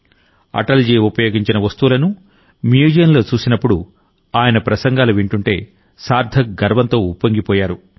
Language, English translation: Telugu, In the museum, when he saw the items that Atalji used, listened to his speeches, he was filled with pride